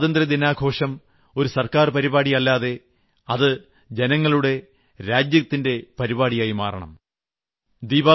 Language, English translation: Malayalam, Independence Day should not be a government event, it should be the celebration of the entire people